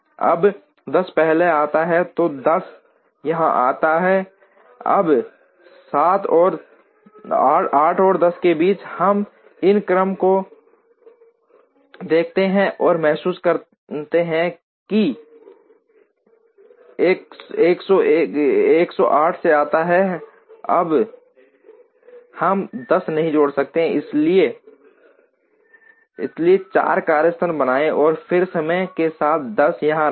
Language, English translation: Hindi, Now 10 comes first, so now 10 comes here next, now between 9 and 10 we look at this order and realize that 10 comes ahead of 9, now we cannot add 10 there, so create a 4th workstation and then put 10 here with time equal to 6